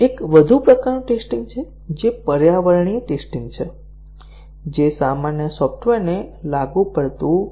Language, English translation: Gujarati, One more type of testing, which is environmental test; which is not applicable to general software